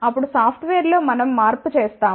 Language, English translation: Telugu, Then in the software we do the change